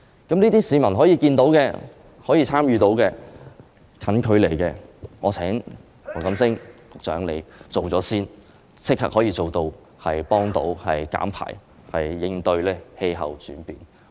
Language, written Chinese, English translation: Cantonese, 這些就是市民可以看到、可以參與的短期措施，我請黃錦星局長先推行，立即可以減碳，應對氣候變化。, These are short - term measures that the public can see and can get involved in and I urge Secretary WONG Kam - sing to give priority to their implementation so that there can be immediate carbon reduction in response to climate change